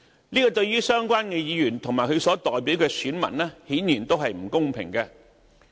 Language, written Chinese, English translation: Cantonese, 這對於相關議員及其所代表的選民，顯然是不公平的。, These comments are obviously unfair to the relevant Members and their constituencies